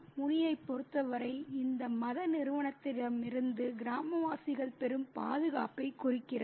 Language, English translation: Tamil, And for Muni, it signifies the protection that the villagers receive from this religious entity